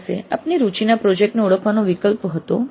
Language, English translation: Gujarati, You had the option of identifying a project of interest to you